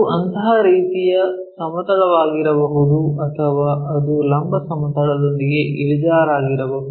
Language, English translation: Kannada, It can be such kind of plane or it may be making inclined with vertical plane